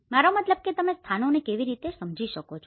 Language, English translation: Gujarati, I mean how you can understand the places